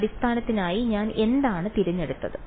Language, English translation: Malayalam, So, what did I choose for the basis